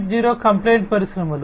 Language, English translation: Telugu, 0 compliant industries